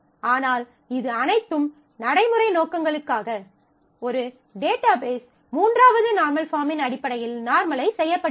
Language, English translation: Tamil, But this is for all practical purposes; a database is normalized, when it is represented in terms of the third normal form